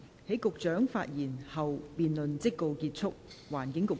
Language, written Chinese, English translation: Cantonese, 在局長發言後，辯論即告結束。, This debate will come to a close after the Secretary has spoken